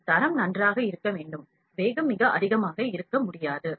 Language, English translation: Tamil, And if the quality has to be good, the speed cannot be very high